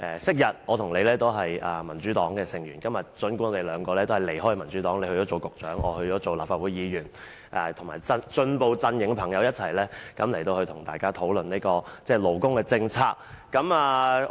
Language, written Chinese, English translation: Cantonese, 昔日，我和他都是民主黨成員，今天我們已經離開民主黨，他做了局長，我則做了立法會議員，很高興仍有機會與進步陣營的朋友一起討論勞工政策。, We used to be members of the Democratic Party and we both left the Democratic Party . He has taken up the office of a Bureau Director whereas I have become a Member of the Legislative Council . I am very glad that I still have the opportunity to discuss labour policies with a friend in the progressive camp